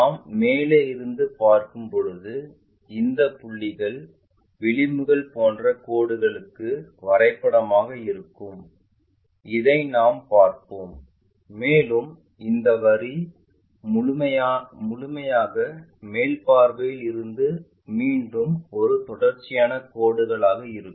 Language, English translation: Tamil, When we are looking from top view these points maps to lines like edges and we will see that and this line entirely from the top view again a continuous line